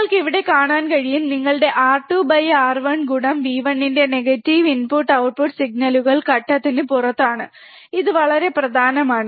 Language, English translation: Malayalam, You can see here so, negative of your R 2 by R 1 into V 1 input output signals are out of phase, this is very important